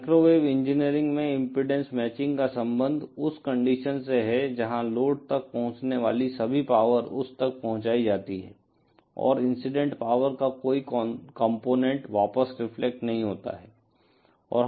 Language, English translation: Hindi, That is as far as impedance matching in microwave engineering is concerned refers to that condition where all the power that is reaching the load is delivered to it and no component of the incident power is reflected back